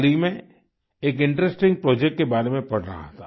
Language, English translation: Hindi, Recently I was reading about an interesting project